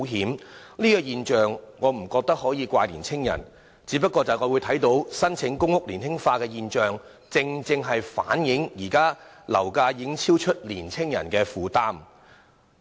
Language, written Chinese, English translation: Cantonese, 我不認為可以把這種現象怪罪於青年人，但是我們看到申請公屋年輕化的現象，便正正反映出現時樓價已超出青年人的負擔能力。, I do not think we can put the blame on young people for such a phenomenon . However the trend of PRH applicants being increasingly younger well reflects that the current property prices have already gone beyond the affordability of young people